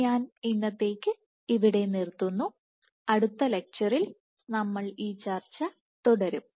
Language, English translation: Malayalam, So, I will stop here for today and we will continue this discussion in the next lecture